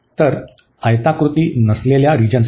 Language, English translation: Marathi, So, for non rectangular regions